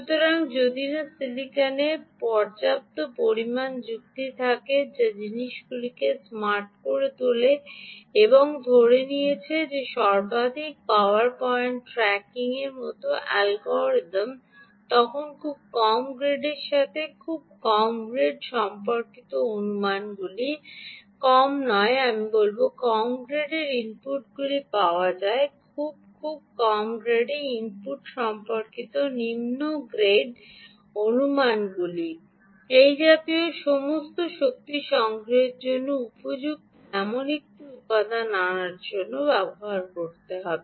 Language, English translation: Bengali, so, unless there is sufficient amount of logic, um in silicon, which makes things smart and assumes that ah, the algorithm, such as maximum power, point tracking, then assumptions assumptions related to very low, low grade very low grade, not low, i would say low grade inputs is available input, very low grade, assumptions related to very low grade input all of this will have to be made in order to bring out a component ah which is suitable for energy harvesting